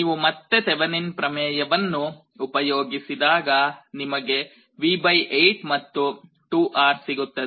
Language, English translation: Kannada, We apply Thevenin’s theorem here again, you get this V / 4 and 2R